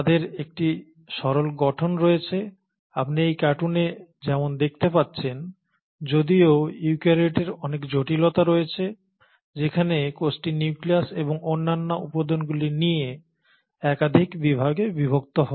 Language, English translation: Bengali, They have a much simpler structure as you can see it in this cartoon while the eukaryotes have a much more complexity where the cell gets divided into multiple sections such as here the nucleus and the other components